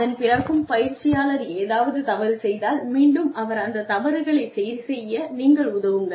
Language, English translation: Tamil, And at that point, if the learner makes mistakes, then help the learner, correct these mistakes